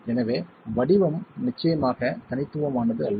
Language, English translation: Tamil, So this shape is definitely not unique